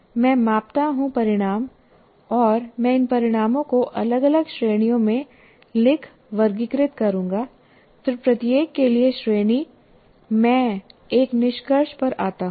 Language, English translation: Hindi, I'm measuring the results and I'll write, classify these results into different categories and then for each category I come to a conclusion